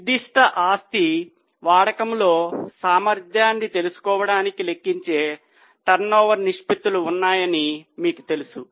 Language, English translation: Telugu, You know that there are turnover ratios which we calculate to know the efficiency in use of that particular asset